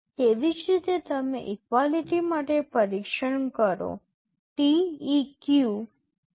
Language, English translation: Gujarati, Similarly, you test for equality, TEQ